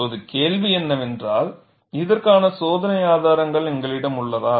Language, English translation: Tamil, Now, the question is, do we have an experimental evidence for this